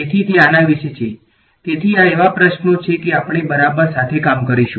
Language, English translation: Gujarati, So, that is about; so, these are the questions that we will work with ok